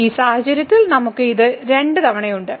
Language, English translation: Malayalam, So, in this case we have this 2 times